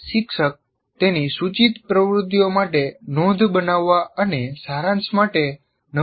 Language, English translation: Gujarati, And the teacher can design templates for his proposed activities for note making and summarization